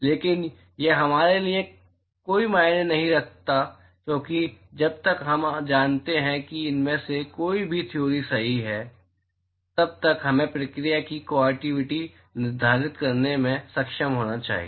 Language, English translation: Hindi, But it would not matter to us because as long as we know either of these theory is right we should be able to quantify the process